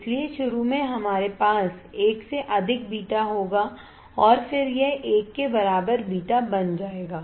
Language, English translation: Hindi, So, initially we will have a beta greater than one and then it becomes a beta equal to 1, right